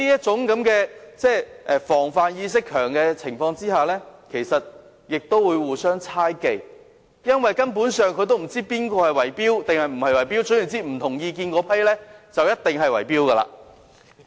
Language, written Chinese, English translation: Cantonese, 此外，在居民的防範意識加強後，其實他們亦會互相猜忌，因為他們根本不知道誰圍標或有否圍標，總之持不同意見的那些人便一定在圍標。, Moreover after the residents have developed a stronger awareness of precaution they may become suspicious of each other because they basically cannot tell who are involved in bid - rigging or whether bid - rigging is involved thinking that people who hold different views are definitely bid - riggers